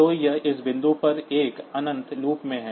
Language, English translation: Hindi, So, it is in an infinite loop at this point